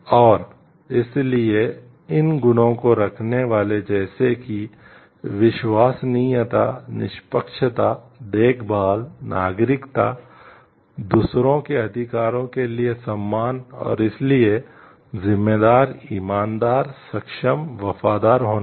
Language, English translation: Hindi, And so, these possessing these qualities like trustworthiness, fairness, caring, citizenship, respect for the rights of others and so, being responsible honest competent loyal